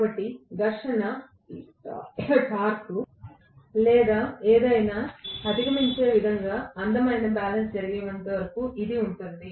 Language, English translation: Telugu, So, this will take place until a beautiful balance happens in such a way that the frictional torque or whatever is overcome